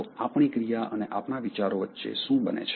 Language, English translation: Gujarati, So, what happened in between our action and our thoughts